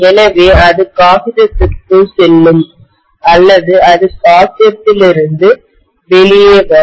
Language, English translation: Tamil, So it will be going into the paper or it will be coming out of the paper